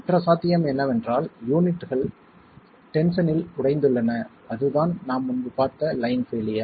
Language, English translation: Tamil, The other possibility is that the units are fractured in tension and that's the line failure that we saw earlier